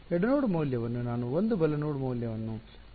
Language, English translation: Kannada, Left node value I called as 1 right node value I called as 2